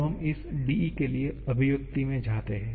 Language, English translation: Hindi, Now, let us just go into the expression for this dE